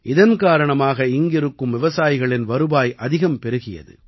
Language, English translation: Tamil, This has also enhanced the income of these farmers a lot